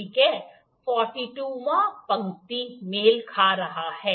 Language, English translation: Hindi, 42nd line is coinciding